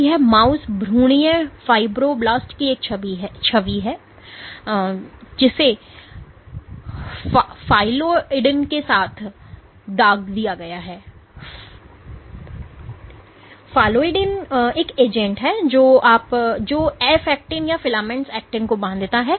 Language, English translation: Hindi, So, this is an image of mouse embryonic fibroblast which have been stained with phalloidin, phalloidin is an agent which binds to f actin or filamentous actin